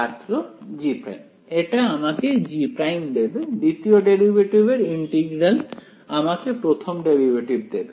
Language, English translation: Bengali, It will give me G dash, there integral of the second derivative will give me first derivative right